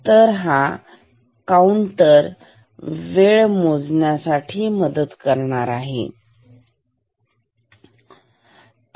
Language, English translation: Marathi, So, this counter can help me in measuring this time ok